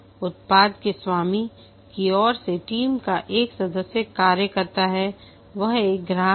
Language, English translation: Hindi, One of the team member acts as on behalf of the product owner that is a customer